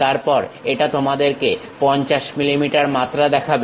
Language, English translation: Bengali, Then it shows you 50 mm dimension